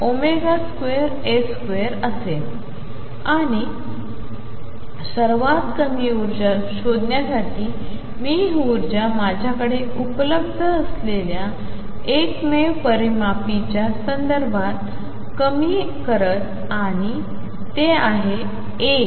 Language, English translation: Marathi, And to find the lowest energy I minimize this energy with respect to the only parameter that is available to me and that is a